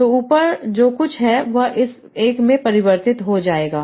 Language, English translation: Hindi, So everything above that will be converted to this one